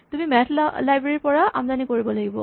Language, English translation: Assamese, So, you actually have to import the math library